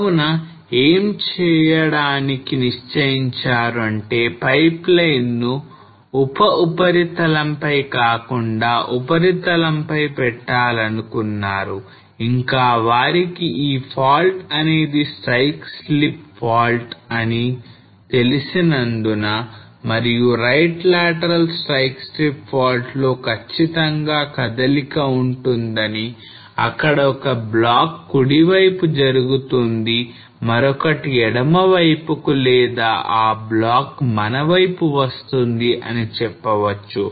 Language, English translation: Telugu, So what they did was they decided that fine let us bring the pipeline on the surface rather than putting subsurface and since they knew that this fault is a strike slip fault a right lateral strike slip faults which will definitely will have a movement where one block will move towards right and another towards left or maybe we can say that the block will move towards us